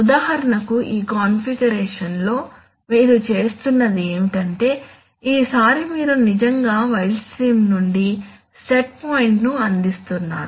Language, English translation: Telugu, For example, in this configuration what you are doing is, see, you are this time you are actually providing the set point from the wild stream